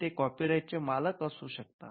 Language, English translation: Marathi, Now, who can have a copyright